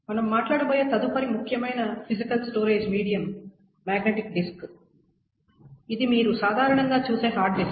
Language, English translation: Telugu, The next important physical storage medium that we will talk about is the magnetic disk